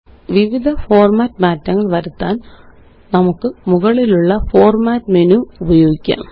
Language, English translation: Malayalam, We can use the Format menu at the top for making various format changes